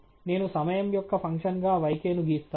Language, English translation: Telugu, I have plotted yk as the function of time